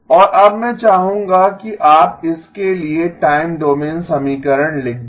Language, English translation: Hindi, And now I would like you to write down the time domain equation for this